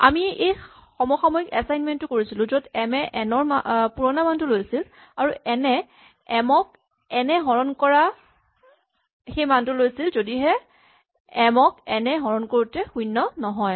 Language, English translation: Assamese, We make this simultaneous assignment of m taking the old value of n, and n taking the value of m divided by n, only if m divided by n currently is not 0